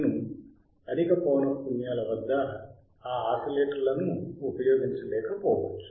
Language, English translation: Telugu, I may not; I may not be able to use those oscillators at high frequencyies